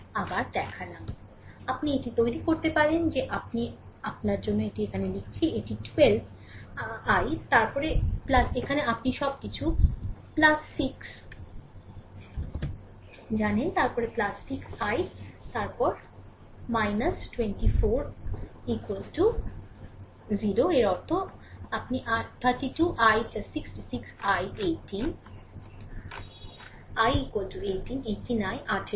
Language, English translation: Bengali, So, therefore, you can make it I am writing it writing here for you, it is 12 I, then plus now you know everything plus 6, then plus 6 I, then minus 24 is equal to 0 right; that means, your 12 i plus 6 6 i 18 i is equal to 18, 18 i is equal to eighteen